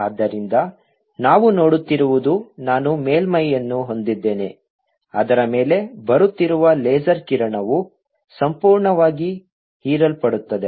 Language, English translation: Kannada, so what we are seeing is i have a surface on which the laser beam which is coming, let's, absorbed completely